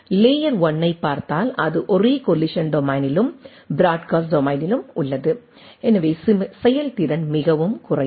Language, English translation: Tamil, If we look at the layer 1, then it is in the same collision domain and broadcast domain, so the efficiency is much less